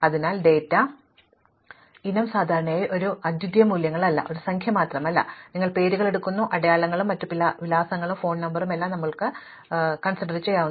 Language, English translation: Malayalam, So, a data item is not typically a unique value, it is not just a number, but it is aÉ So, you are taking names, marks and various other addresses may be phone number and you might sort on different things